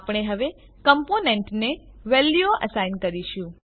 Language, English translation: Gujarati, We will now assign values to components